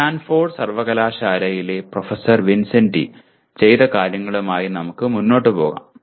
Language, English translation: Malayalam, Here we will go with what professor Vincenti of Stanford University has done